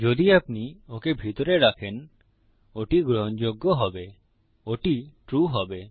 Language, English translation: Bengali, If you had that inside, that would be acceptable that would be true